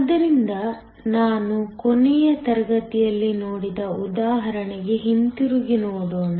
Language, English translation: Kannada, So, let me go back to the example that we looked at last class